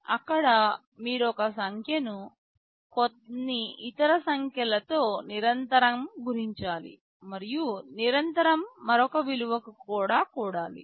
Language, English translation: Telugu, There you need to continuously multiply a number with some other number and add to another value continuously